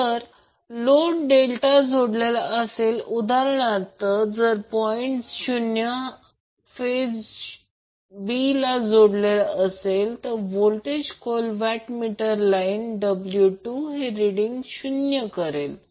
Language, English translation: Marathi, So for example, if point o is connected to the phase b that is point b, the voltage coil in the watt meter W 2 will read 0